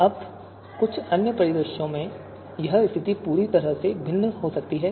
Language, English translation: Hindi, Now in some other scenarios, this situation can be totally different